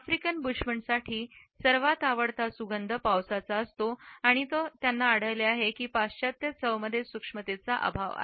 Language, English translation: Marathi, For the African Bushmen, the loveliest fragrance is that of the rain and they would find that the western taste are distinctly lacking in subtlety